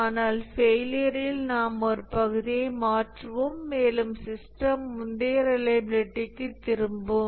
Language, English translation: Tamil, But then on failure we replace a part and the system is back to the previous reliability